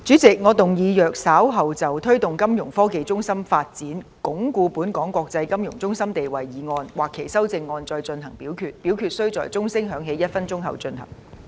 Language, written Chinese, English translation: Cantonese, 主席，我動議若稍後就"推動金融科技中心發展，鞏固本港的國際金融中心地位"所提出的議案或修正案再進行點名表決，表決須在鐘聲響起1分鐘後進行。, President I move that in the event of further divisions being claimed in respect of the motion on Promoting the development of a financial technology hub to reinforce Hong Kongs position as an international financial centre or any amendments thereto this Council do proceed to each of such divisions immediately after the division bell has been rung for one minute